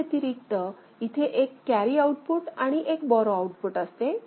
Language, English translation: Marathi, So, other than this, you have got a carry output and borrow output here